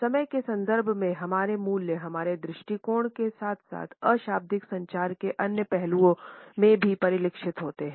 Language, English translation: Hindi, Our values in the context of time are reflected in our attitudes as well as in other aspects of nonverbal communication